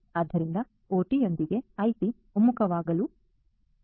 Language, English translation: Kannada, So, the convergence of IT with OT has to happen